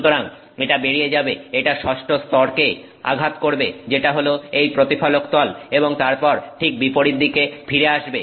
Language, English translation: Bengali, So, it goes through, it hits this sixth layer which is this reflective surface and then comes right back